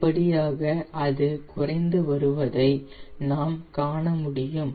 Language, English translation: Tamil, see, gradually, it has decreasing, it is decreasing